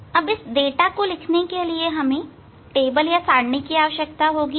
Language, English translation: Hindi, You need table to record, the data you need table to record the data